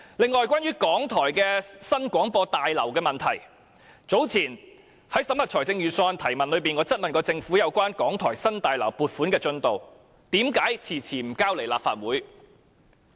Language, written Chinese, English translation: Cantonese, 此外，關於港台的新廣播大樓，早前在審核預算案的提問中，我質問政府有關港台新大樓的撥款進度，為何遲遲不提交立法會。, Moreover concerning RTHKs new Broadcasting House in examining the estimate of expenditures some time ago I questioned the Government on the progress of the funding request for the new Broadcasting House asking why there had been so much delay in the submission of this project to the Legislative Council